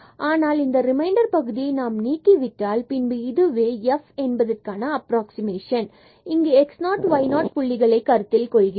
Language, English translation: Tamil, But if we leave this remainder term then this will be the approximation of this f at this point in which is in the neighborhood of this x 0 y 0 point